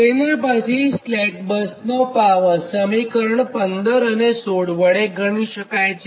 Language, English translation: Gujarati, slack bus power can be computed using equation fifteen and sixteen